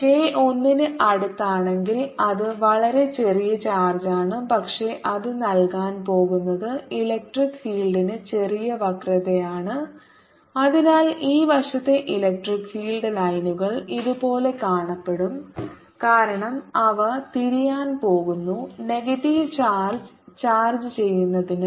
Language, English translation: Malayalam, if k is close to one, it's a very small charge, but what it is going to give is little curvature to the electric field and therefore the electric field lines on this side are going to look like this because they are going to turn towards charge, the negative charge